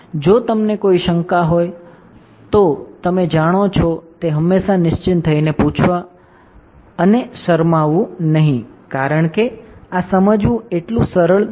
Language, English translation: Gujarati, If you have any doubts you know always feel free to ask and do not hesitate because this is not so easy to understand ok